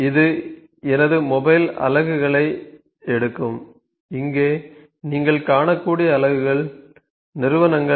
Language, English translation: Tamil, So, it will take my mobile units; the units which we ,you can you could see here these entity